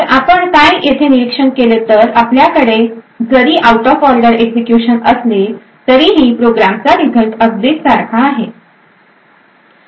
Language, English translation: Marathi, So, what we observe here is that even though the we have an out of order execution the result of the program will be exactly the same